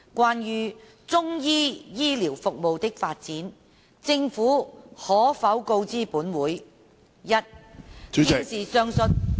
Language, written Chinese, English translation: Cantonese, 關於中醫醫療服務的發展，政府可否告知本會：一現時上述......, Regarding the development of Chinese medicine services will the Government inform this Council 1 of the respective current